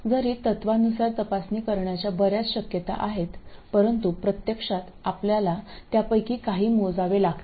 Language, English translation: Marathi, So although in principle there are many possibilities to check, in practice you have to check only a few of them